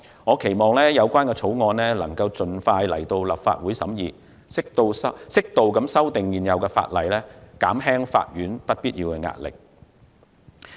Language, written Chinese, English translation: Cantonese, 我期望有關法案能盡快提交立法會審議，適度修訂現有法例，減輕法院不必要的壓力。, I hope that the relevant bill will be introduced into the Legislative Council for deliberation as soon as possible so that the existing legislation can be amended appropriately to relieve the unnecessary pressure on the courts